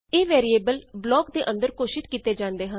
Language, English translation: Punjabi, These variables are declared inside a block